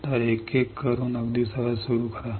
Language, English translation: Marathi, So, start one by one very easy